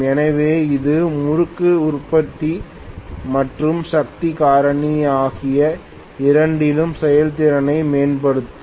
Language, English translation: Tamil, So this will improve the performance in terms of both torque production and the power factor as well both